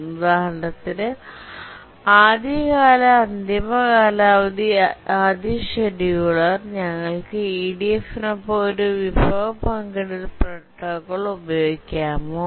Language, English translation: Malayalam, For example, the earliest deadline first scheduler, can we use a resource sharing protocol with EDF